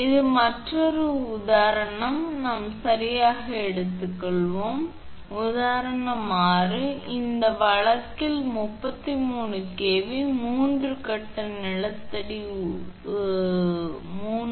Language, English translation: Tamil, So, next one is; this another example we will take right, so example 6: Right in this case a 33 kV, 3 phase underground feeder 3